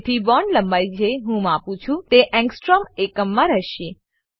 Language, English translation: Gujarati, So, the bond lengths I measure, will be in Angstrom units